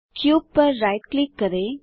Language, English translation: Hindi, Right click on the cube